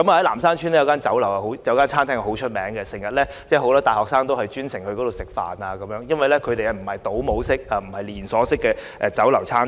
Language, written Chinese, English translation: Cantonese, 南山邨有一間餐廳很有名，經常有很多大學生前往光顧，因為那不是倒模式或連鎖式經營的酒樓或餐廳。, There is a famous restaurant in Nam Shan Estate . Many university students like to eat there for the food is different from the homogeneous meals provided by restaurant chains